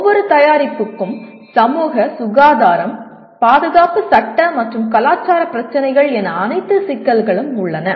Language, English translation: Tamil, And with every product you have all the issues namely societal, health, safety, legal and cultural issues